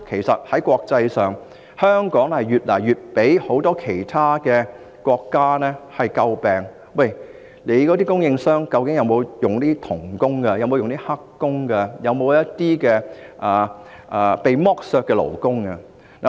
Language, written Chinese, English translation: Cantonese, 在國際上，香港越來越為其他國家所詬病，他們會問，"你們的供應商究竟有否聘用'童工'、'黑工'或一些被剝削的勞工？, Hong Kong has been criticized more and more by other countries in the international community and we will be asked whether our suppliers have hired child labourers illegal workers or workers who are subjected to exploitation